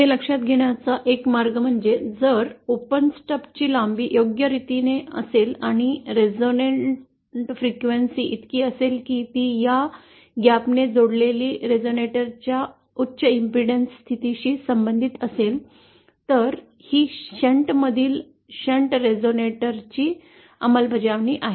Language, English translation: Marathi, So one way of realising is if we have our length tuned properly of this open stub and say the resonant frequency is such that it corresponds to the high impedance state of this gap coupled resonator then that is an implementation of a shunt resonator in shunt